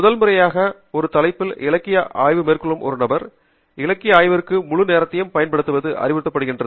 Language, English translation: Tamil, for a person who is doing the literature survey on a topic for the first time, it is advised that the entire time span is used for literature survey